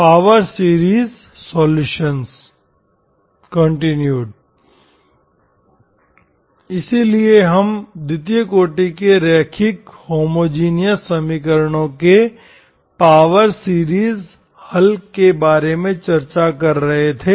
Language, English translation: Hindi, So we were discussing about power series solutions of second order linear homogeneous equations